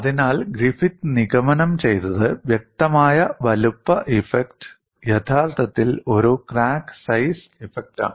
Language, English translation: Malayalam, So, what Griffith concluded was, the apparent size effect was actually a crack size effect